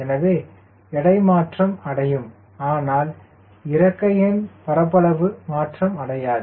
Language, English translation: Tamil, so the weight we will change, the wing area remain same